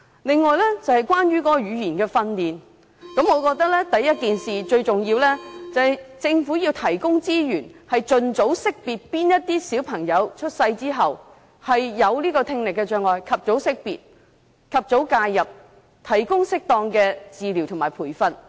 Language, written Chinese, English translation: Cantonese, 再者，關於語言訓練，我覺得最重要的是政府要提供資源，盡快識別哪些小朋友出生之後有聽力障礙，及早介入，提供適當的治療及培訓。, Besides in respect of language training the most important thing is that the Government must provide resources so that children suffering deafness after birth can be expeditiously identified for early intervention and appropriate treatment and training